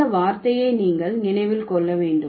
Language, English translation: Tamil, So, you need to remember this term